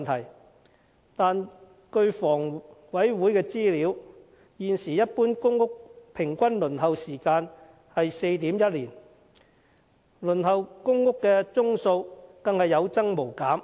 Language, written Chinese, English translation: Cantonese, 然而，根據香港房屋委員會的資料，現時一般公屋的平均輪候時間是 4.1 年，而輪候公屋的宗數更是有增無減。, And yet according to information from the Hong Kong Housing Authority the average waiting time for PRH is normally 4.1 years at present and the number of PRH applications has continued to increase